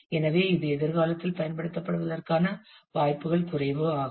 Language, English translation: Tamil, So, it has less likely hood of being used in the future